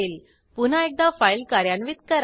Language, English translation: Marathi, Next execute the file one more time